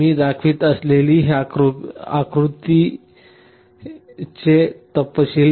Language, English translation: Marathi, You see this diagram that I am showing